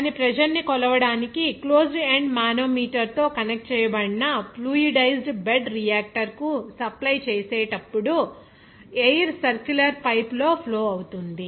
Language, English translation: Telugu, Air is flowing in a circular pipe during its supply to a fluidized bed reactor connected with a closed end manometer to measure its pressure